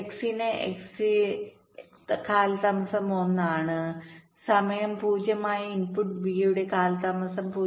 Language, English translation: Malayalam, for x, the delay of x is one and the delay of the input b, which is at time zero, is point one